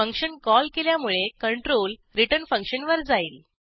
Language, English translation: Marathi, The control goes to return function because of the function call